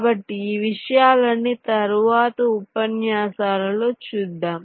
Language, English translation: Telugu, so we shall see all this things later in the next lectures